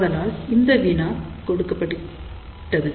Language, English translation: Tamil, So, this problem is given